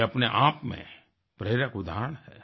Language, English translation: Hindi, These are inspirational examples in themselves